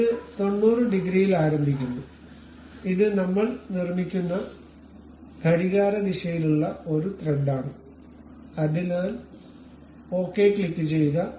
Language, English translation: Malayalam, And it begins at 90 degrees, and it is a clockwise uh thread we were constructing, so click ok